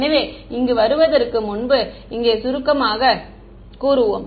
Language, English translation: Tamil, So, before coming to this let us just summarize over here